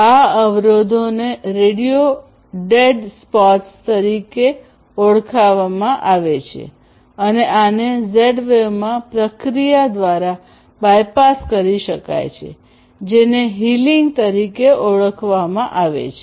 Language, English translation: Gujarati, And these obstructions are known as radio dead spots, and these can be bypassed using a process in Z wave which is known as healing